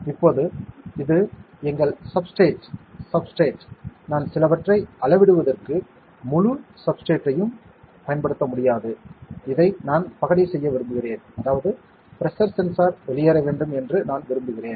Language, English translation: Tamil, Now, this is our substrate, I cannot use the entire substrate for measuring something right I want to dice this off, that means, I just want a pressure sensor to be out